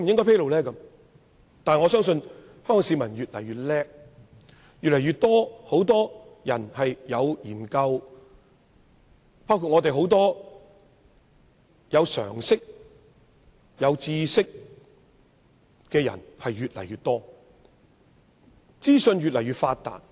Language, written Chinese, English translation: Cantonese, 不過，我相信，香港市民越來越聰明，越來越多人了解時事，有常識及知識的人亦越來越多，因為資訊越來越發達。, However I believe Hong Kong people are getting smarter and smarter . There is an increasing number of people who are capable of understanding current issues . The number of people who have common sense and knowledge is also on the rise